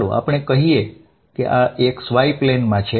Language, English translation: Gujarati, Let us say this is in the x y plane, x y